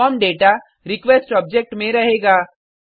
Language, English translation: Hindi, The form data will reside in the request object